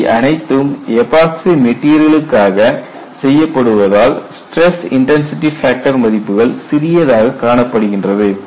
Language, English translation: Tamil, See these are all done on epoxy that is why you see such small values of stress intensity factor